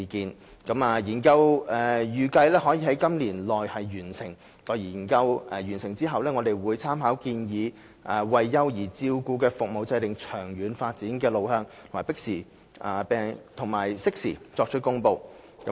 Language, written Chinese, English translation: Cantonese, 幼兒照顧服務研究預計可在今年內完成，待完成後，我們會參考建議為幼兒照顧服務制訂長遠發展路向，並適時作出公布。, The study on child care services is expected to complete within this year . Upon completion we will determine the way forward for the long - term development of child care services based on the recommendations and announce it at a suitable juncture